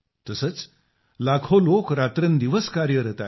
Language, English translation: Marathi, Similarly, millions of people are toiling day and night